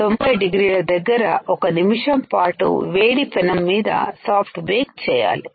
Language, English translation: Telugu, soft bake at ninety degrees for one minute on hot plate